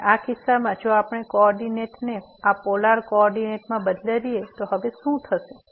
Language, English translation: Gujarati, And in this case if we change the coordinate to this polar coordinate what will happen now